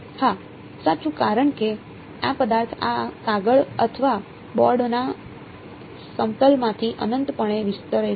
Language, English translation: Gujarati, Yes right, because this object extents infinitely out of the plane of this paper or board